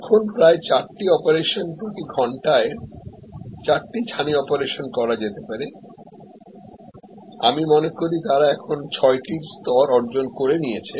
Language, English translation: Bengali, Now, about four operations, four cataract operations could be done per hour, I think they have now achieved the level of six